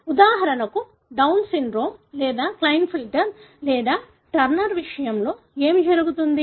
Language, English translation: Telugu, What happens in case of, for example Down syndrome or Klinefelter or Turner